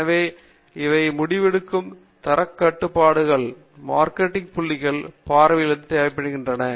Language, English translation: Tamil, So, these are required from a decision making, quality control, and marketing points of view